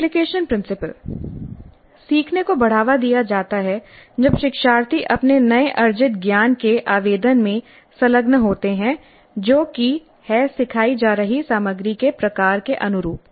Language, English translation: Hindi, Learning is promoted when learners engage in application of their newly acquired knowledge that is consistent with the type of content being taught